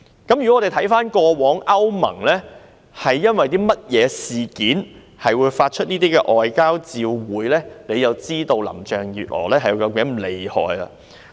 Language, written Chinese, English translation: Cantonese, 只要回看過往歐盟曾經因為何事發出外交照會，便會知道林鄭月娥是如何的厲害。, Just take a look at the incidents over which EU has issued a demarche before and we will know how awesome Carrie LAM is